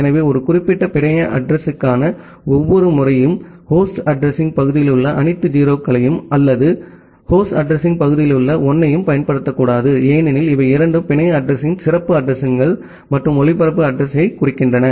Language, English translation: Tamil, So, every time for a particular network address, we should not use all 0’s at the host address part or all 1’s at the host address part, because these two denotes the special addresses of the network address and the broadcast address